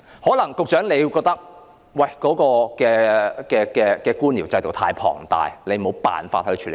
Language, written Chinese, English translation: Cantonese, 可能局長會覺得官僚制度太龐大，沒辦法處理。, Perhaps the Secretary opines that the bureaucratic system is too big to deal with